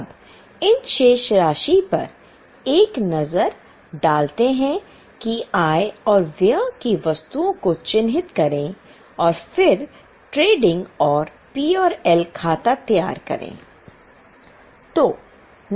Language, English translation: Hindi, Now have a look at these balances, mark the items of income and expense and then prepare trading and P&L account